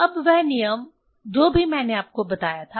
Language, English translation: Hindi, Now, that rule whatever rule I told you